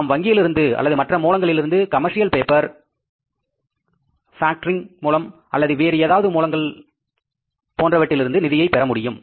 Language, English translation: Tamil, We can borrow from banks, we can borrow from the other sources by way of commercial paper, by way of the factoring and other kind of things